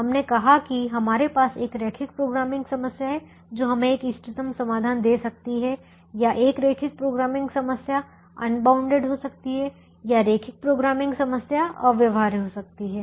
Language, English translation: Hindi, we said that we have a linear programming problem can give us an optimal solution, or a linear programming problem can be unbounded, or the linear programming problem can be infeasible